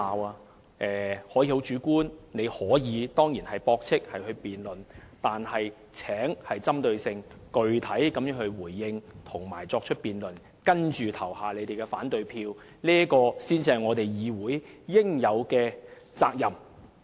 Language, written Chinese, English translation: Cantonese, 他們可以提出主觀的意見，當然可以駁斥我們和進行辯論，但請具體針對地回應和作出辯論，然後投下反對票，這才是議員應有的責任。, It is just fine for them to refute our claims and carry out a debate before voting against our amendments . This is what we as Members should do . But those refutations and debates ought to be to the point